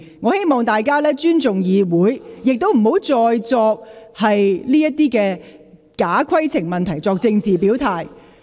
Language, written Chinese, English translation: Cantonese, 我希望大家尊重議會，亦不要再藉假規程問題作政治表態。, I hope Members will respect the Council and stop making political remarks by falsely raising points of order